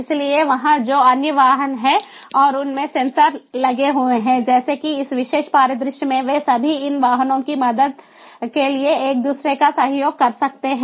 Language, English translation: Hindi, so there other vehicles that are there and the sensors in them, like in the case of this particular scenario, they all can cooperate with one another in order to help these two vehicles so that they do not collide with each other